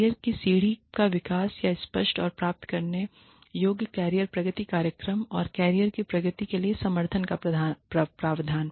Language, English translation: Hindi, Development of career ladders, or clear and achievable career progression programs, and provision of support for career progression